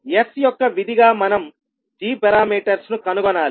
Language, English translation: Telugu, We have to find the g parameters as a function of s